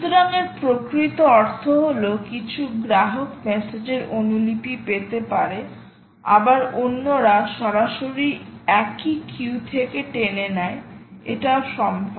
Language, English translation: Bengali, so what this actually means is some customers can get copies of messages, ah, while others full staring from the same queue